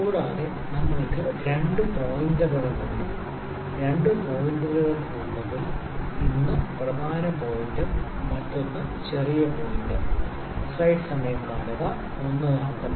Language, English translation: Malayalam, Also we have two pointers, two pointers inside; one is the main pointer one is the small pointer